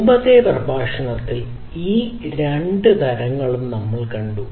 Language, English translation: Malayalam, We have seen both of these types in the previous lectures